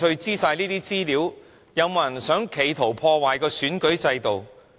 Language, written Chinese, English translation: Cantonese, 有沒有人企圖要破壞選舉制度？, Was it an attempt to destroy our electoral system?